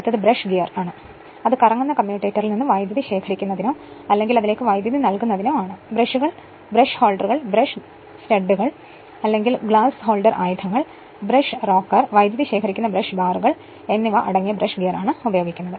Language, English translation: Malayalam, Next is brush gear to collect current from a rotating commutator your commutator, or to feed current to it use is a made of brush gear which consists of brushes, brush holders, brush studs, or glass holder arms, brush rocker, current collecting, brush bars right